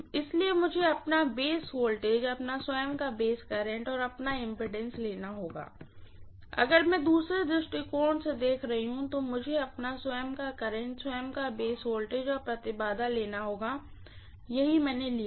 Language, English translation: Hindi, So I have to take its own base voltage, its own base current, its own base impedance and if I am looking at the other one from the secondary viewpoint, I have to take its own current, its own base voltage and its own impedance that is what I have taken